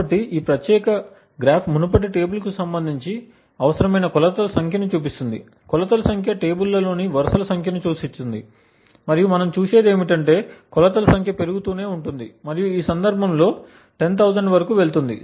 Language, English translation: Telugu, So this particular graph shows the number of measurements required relating to the previous table, the number of measurements implies the number of rows in the tables and what we see is that as the number of measurements keeps increasing and goes towards 10000 in this case the accuracy of identifying the secret key is increased